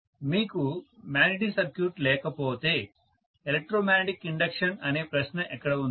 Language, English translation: Telugu, If you do not have magnetic circuit, where is the question of electromagnetic induction